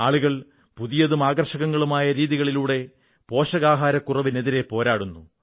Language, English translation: Malayalam, People are fighting a battle against malnutrition in innovative and interesting ways